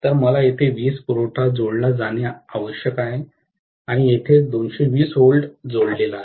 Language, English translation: Marathi, So, I have to have the power supply connected here, that is where 220 volts is connected